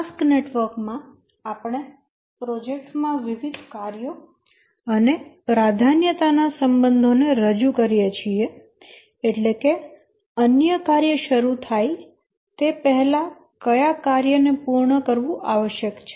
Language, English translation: Gujarati, In the task network, we represent the different tasks in the project and also the precedence relationships, that is, which task must complete before another task can start